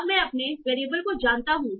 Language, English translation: Hindi, So I now know all my variables